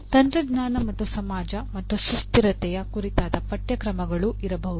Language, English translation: Kannada, Also courses on technology and society and there can be course on sustainability